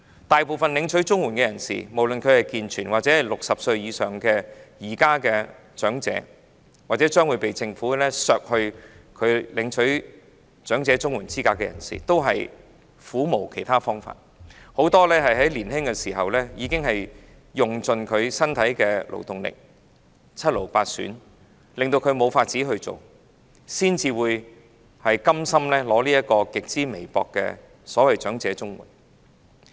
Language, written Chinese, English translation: Cantonese, 大部分領取綜援的人士，無論是健全人士或現時60歲以上的長者，或將會被政府剝奪領取綜援資格的人士，均苦無其他方法，很多在年青時已經用盡身體的勞動力，以致七癆八損，令他們無法工作，才會甘心領取極之微薄的所謂"長者綜援"。, Most of the CSSA recipients whether they are able - bodied or elderly people aged over 60 at present or those who will be deprived of their eligibility for CSSA by the Government have no other alternatives . Many of them have exhausted the working ability of their body when they were young their health has been greatly impaired and they are unable to work thus being forced to receive the so - called elderly CSSA which is so meagre